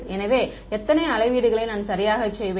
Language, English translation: Tamil, So, how many measurements will I make right